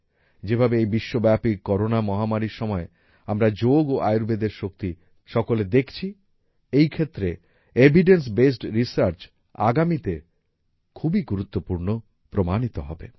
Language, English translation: Bengali, The way we all are seeing the power of Yoga and Ayurveda in this time of the Corona global pandemic, evidencebased research related to these will prove to be very significant